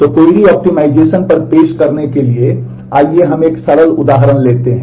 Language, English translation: Hindi, So, to introduce on the query optimization let us take a simple example